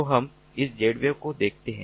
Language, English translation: Hindi, so we look at this: z wave